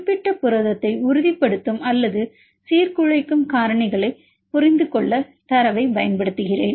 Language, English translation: Tamil, I utilize the data to understand the factors which is stabilize or destabilize particular protein